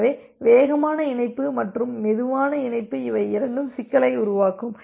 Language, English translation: Tamil, So, both are fast connection and a slow connection can create a problem